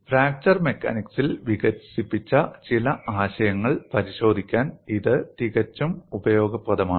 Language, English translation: Malayalam, And this is quite useful to verify some of the concepts developed in fracture mechanics